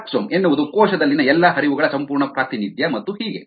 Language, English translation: Kannada, fluxome is the complete representation of all the fluxes in the cell, and so on